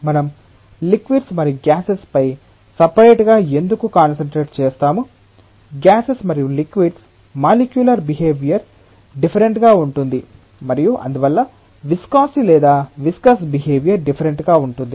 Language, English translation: Telugu, Why we separately concentrate on liquids and gases is, a very straight forward reason that the molecular nature of gases and liquids are different and therefore, the viscosity or the viscous behaviour is going to be different